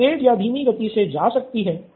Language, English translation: Hindi, She can go fast or slow